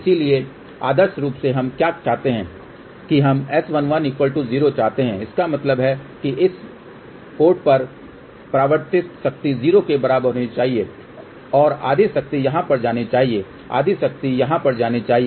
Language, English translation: Hindi, So, ideally what do we want we want S 11 to be equal to 0; that means, the reflected power at this port should be equal to 0 and the half power should go here half power should go over here